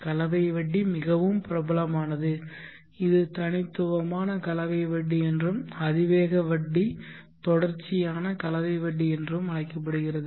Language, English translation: Tamil, The compound growth very popular it is also called the discrete compound growth and the exponential growth is called the continuous compound growth